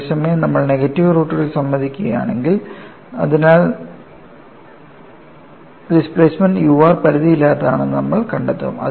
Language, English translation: Malayalam, Whereas, if you admit negative roots, you find that displacement u r is unbounded, so, this has to be discarded